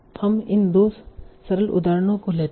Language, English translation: Hindi, So let's take these two simple examples